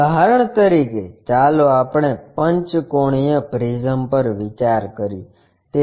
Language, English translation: Gujarati, For example let us consider pentagonal prism